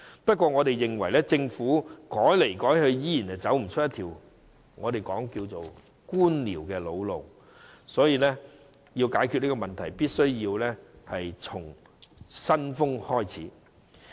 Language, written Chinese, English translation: Cantonese, 不過，我們認為政府改來改去仍無法走出那條我們稱之為官僚的老路，所以要解決這個問題，必須從"新風"開始。, However we consider that the Government has failed to leave the old bureaucratic path despite the changes made here and there . Hence to address the problem the authorities must start with a new style